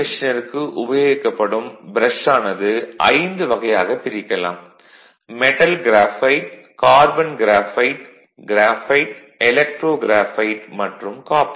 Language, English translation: Tamil, So, the brushes the brushes used for DC machines are divided into 5 classes; metal, metal graphite, carbon graphite, graphite, electro graphite, and copper right